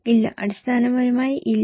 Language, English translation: Malayalam, No, basically no